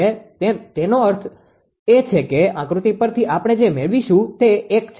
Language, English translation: Gujarati, So, that means from this figure what we will get it is 1